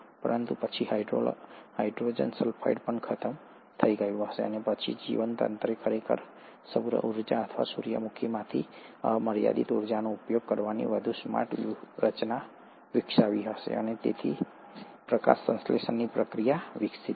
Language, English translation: Gujarati, But then even hydrogen sulphide would have got exhausted and then, the organism must have developed a much smarter strategy of actually utilizing the unlimited pool of energy from solar energy or from the sun and hence the process of photosynthesis evolved